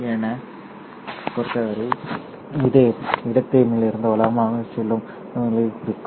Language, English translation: Tamil, For me, this would mean signal going from left to right